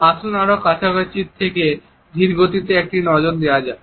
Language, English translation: Bengali, Let us have a look in even slower slow motion from closer